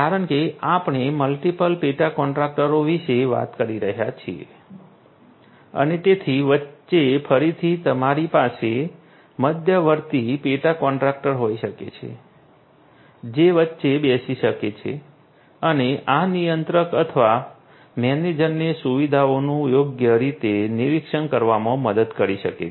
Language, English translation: Gujarati, In between because we are talking about multiple subcontractors and so on, in between again you could have an intermediate you could have an intermediate subcontractor an intermediate subcontractor who could be sitting in between and could help this controller or the manager to monitor the facilities appropriately